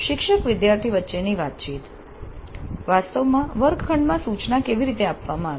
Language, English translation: Gujarati, Teacher student interactions, how did the instruction take place actually in the classroom